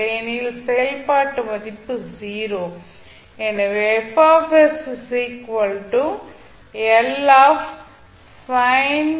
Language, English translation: Tamil, Otherwise, the function value is 0